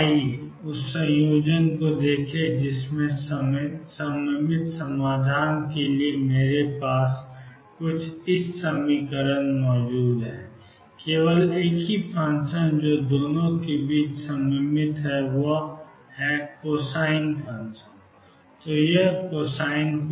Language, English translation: Hindi, Now, let us look at the combination I have C cosine of beta x plus D sin of beta x for symmetric solution the only function that is symmetric between the two is cosine